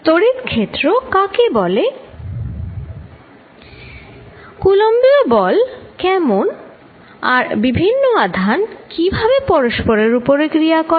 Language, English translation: Bengali, How about Coulomb's force and how different charge is interact with each other